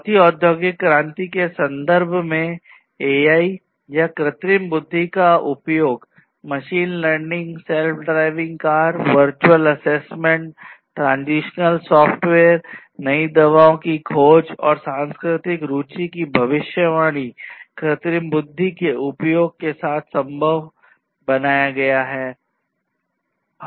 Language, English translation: Hindi, So, in the context of the fourth industrial revolution, use of AI or artificial intelligence and in fact, not only artificial intelligence but machine learning also has made it possible to have self driving cars, virtual assessment, transitional software, discovery of new drugs, prediction of cultural interest, and many different other things have been made possible with the use of artificial intelligence